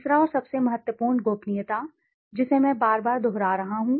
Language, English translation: Hindi, Third, and the most important confidentiality, which I have been repeating again and again and again